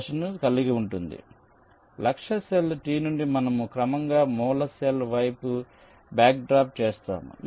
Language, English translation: Telugu, so from the target cell t, we systematically backtrack towards the source cell